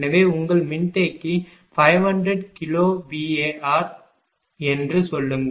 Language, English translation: Tamil, So, suppose your capacitor is say 500 kilo bar